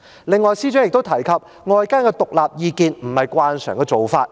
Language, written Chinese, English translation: Cantonese, 此外，司長亦提及，尋求外間的獨立意見並非慣常做法。, In addition the Secretary mentioned that seeking outside independent advice is not the usual practice